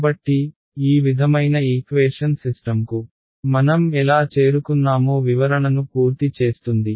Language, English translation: Telugu, So, this sort of completes the description of how we arrived at a system of equation